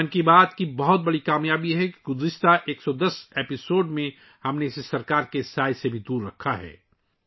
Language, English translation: Urdu, It is a huge success of 'Mann Ki Baat' that in the last 110 episodes, we have kept it away from even the shadow of the government